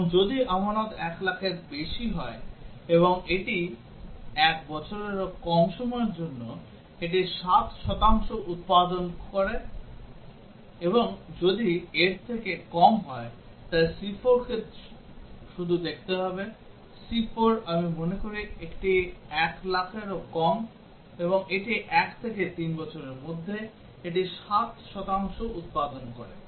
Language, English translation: Bengali, And if the deposit is greater than 1 lakh and it is for less than 1 year, it produces 7 percent; and if it is less than; so c4 need to just look up, c4 is I think, it is less than 1 lakh, and it is between 1 to 3 year, it produces 7 percent